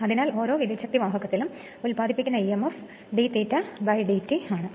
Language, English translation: Malayalam, Therefore, emf generated per conductor this is your d phi dash by d t